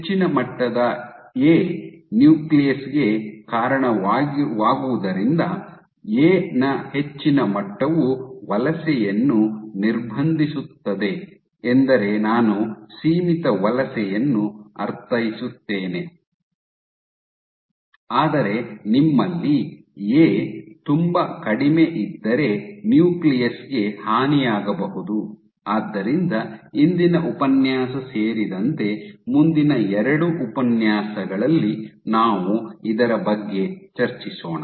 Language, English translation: Kannada, So, since high levels of A lead to stiffer nucleus, so high levels of A actually impede migration by migration I mean confined migration, but if you have A too low then you might have damage to the nucleus so in the next two lectures including today